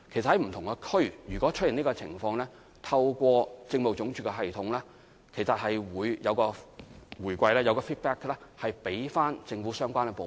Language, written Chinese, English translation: Cantonese, 當不同地區出現這種情況，透過民政事務總署的系統，其實是會有反饋給予政府的相關部門。, When such a situation arises in different districts there is feedback given to the relevant government departments through the system of the Home Affairs Department